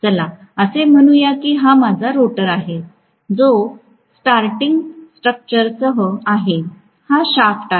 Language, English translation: Marathi, Let us say this is my rotor with protruding structure, this is the shaft right